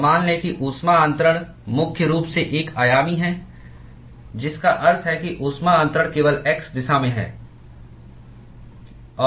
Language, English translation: Hindi, And let us assume that the heat transfer is primarily one dimensional, which means that the heat transfer is only in the x direction